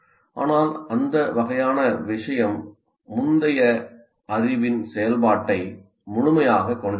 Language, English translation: Tamil, But that is, that kind of thing doesn't fully constitute the activation of prior knowledge